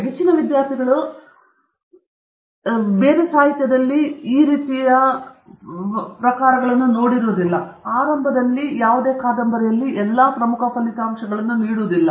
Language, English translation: Kannada, This is where most of the students have great difficulty, because almost any other form of literature that you read, does not give away all the important results right at the beginning okay, particularly a novel